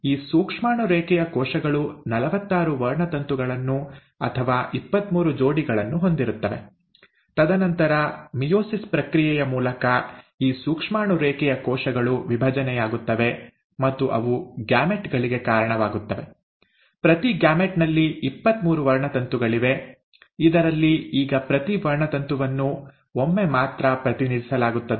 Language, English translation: Kannada, So these germ line cells will contain forty six chromosomes or twenty three pairs and then through the process of meiosis, these germ line cells divide and they give rise to gametes, right, with each gamete having twenty three chromosomes, wherein each chromosome is now represented only once